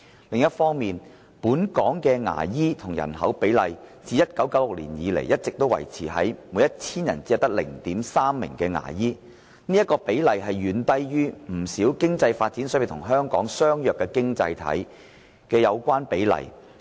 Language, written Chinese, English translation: Cantonese, 另一方面，本港牙醫與人口比例自1996年以來一直維持在每一千人 0.3 名牙醫，而該比例遠低於不少經濟發展水平與香港相若的經濟體的有關比例。, On the other hand the ratio of dentist to population in Hong Kong has remained at 0.3 dentist per 1 000 persons since 1996 a ratio far lower than those of quite a number of economies with levels of economic development comparable to Hong Kong